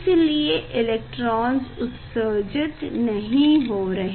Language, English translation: Hindi, no electrons are emitted